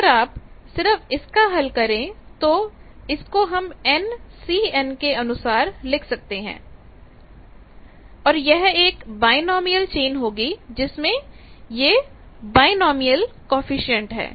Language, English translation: Hindi, Now, if you just work out this can be written like this in terms of N C m and these are the binomial chain these are the binomial coefficient